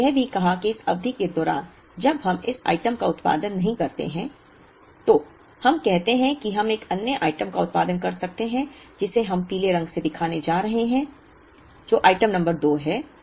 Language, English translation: Hindi, We also said that in between this period when we do not produce this item say we may produce another item which we aregoing to show by the yellow color which is item number 2